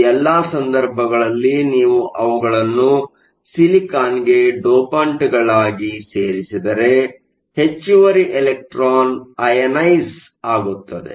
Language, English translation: Kannada, In all of these cases, if you add them as dopants to the silicon the extra electron will be ionized